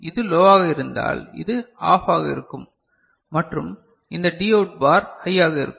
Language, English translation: Tamil, And if it is low then it is OFF and this Dout bar will be high